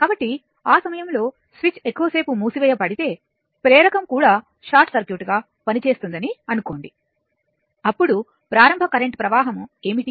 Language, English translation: Telugu, So that means, you assume that if the switch is closed for a long time at that time inductor also will act as a short circuit then ah then what will be the your current initial initial current